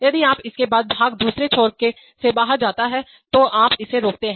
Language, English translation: Hindi, If you, then, after the part goes out from the other end, then you stop it